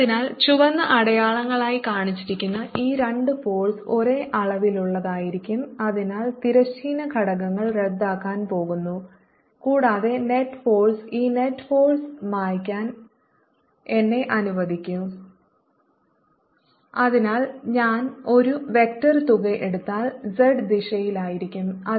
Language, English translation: Malayalam, so these two forces shown be red arrows are going to have the same magnitude and therefore their horizontal components will are going to be cancelling and the net force let me erase this net force therefore, if i take a vector sum, is going to be in the z direction